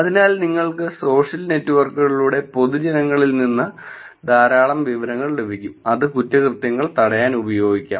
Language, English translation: Malayalam, So you can actually get a lot of information from public through the social networks, which can be used to prevent crime